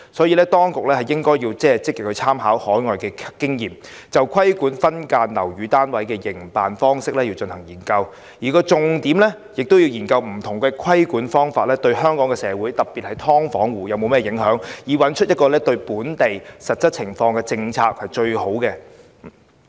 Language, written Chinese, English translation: Cantonese, 因此，當局應積極參考海外經驗，就規管分間樓宇單位的營辦方式進行研究，而重點是研究不同規管方式對香港社會特別是"劏房戶"的影響，以確立一套最適用於本地實際情況的政策。, For this reason the authorities should proactively draw reference from overseas experience and conduct a study on the regulation of the operation mode of subdivided units with the focus placed on the impact of various regulatory approaches on our society particularly tenants of subdivided units thereby establishing a policy best suited to the actual situation in Hong Kong